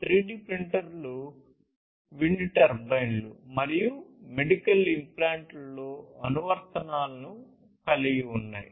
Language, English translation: Telugu, So, these have basically, 3D printers have applications in wind turbines, medical implants and so on